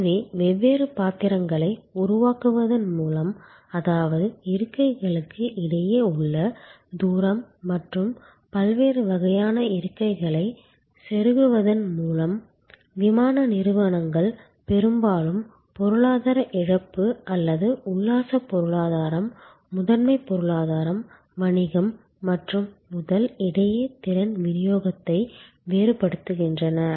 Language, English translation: Tamil, So, by creating different pitches; that means, the distance between seats and by plugging in different kinds of seats, airlines often vary the capacity distribution among economic loss or excursion economy, prime economy business and first